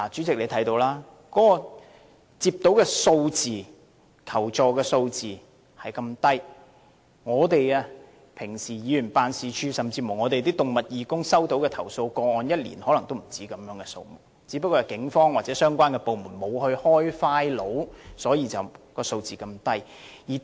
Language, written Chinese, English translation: Cantonese, 代理主席，相信你也看到，當局接獲的求助個案數字很低，而即使是議員辦事處甚或動物義工，日常所收到的投訴個案可能一年也不只這些數目，但因為警方或相關部門沒有立案，數字便如此低。, Deputy President as you may also note from the above figures the number of reports received by the authorities is very low indeed . I think even a Members office or an animal welfare volunteer organization would receive more complaint cases in one year than those figures taken together . But as the Police and the relevant department were not keen to conduct investigation the number of reports they received was kept at a very low level